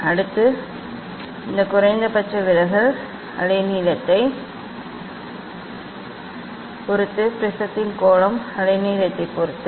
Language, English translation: Tamil, next this minimum deviation depends on the wavelength; angle of the prism does the depend on the wavelength